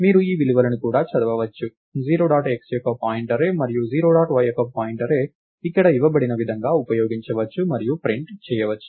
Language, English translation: Telugu, You can also do read of these values, pointArray of 0 dot x and pointArray of 0 dot y can be used us as as they are given here and printed and so on